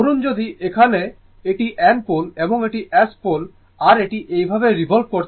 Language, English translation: Bengali, Suppose, if you have here it is N pole here, it is S pole, N pole, S pole and it is revolving like this, it is revolving like this